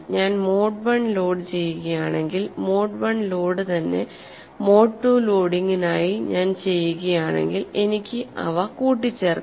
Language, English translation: Malayalam, If we do mode one loading we can do for mode one loading and if we do for mode two loading those things we can add